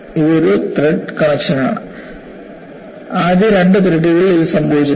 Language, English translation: Malayalam, This is a threaded connection; it has not happened in the first two threads